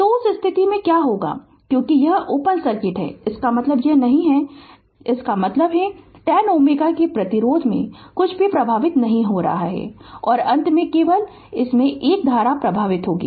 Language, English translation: Hindi, So, in that case what will happen as this is open circuit means it is not there and that means, nothing is flowing in the 10 ohm resistance, and finally a current will flow through this only right